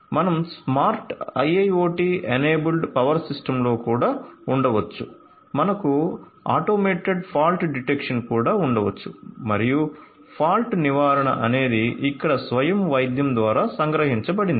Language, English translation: Telugu, We could also have in a smart IIoT enabled power system, we could also have you know automated fault detection, fall prevention is something over here captured through self healing